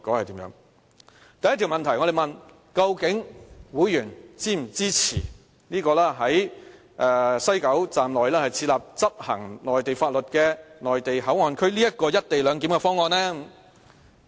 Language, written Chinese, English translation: Cantonese, 第一條問題是問會員是否支持在西九站內設立執行內地法律的內地口岸區這"一地兩檢"的方案？, The first question is whether HKPTU members support the co - location proposal for the setting up of a Mainland Port Area MPA under the Mainland laws inside WKS . The results can be seen in this pie chart